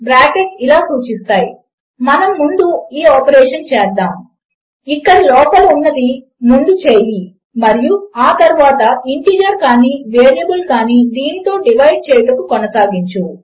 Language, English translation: Telugu, The brackets will say well take this operation first, do whatever is in here and then continue to divide by whatever this could be an integer or a variable